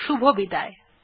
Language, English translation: Bengali, Thank you and goodbye.